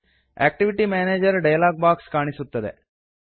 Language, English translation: Kannada, The Activity Manager dialog box appears